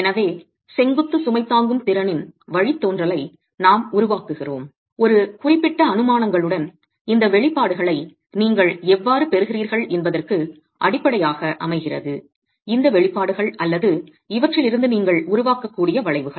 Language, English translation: Tamil, So, we made the derivation of the vertical load carrying capacity with a certain set of assumptions which really become the basis of how you get these expressions, how you have these expressions or the curves that you can develop from these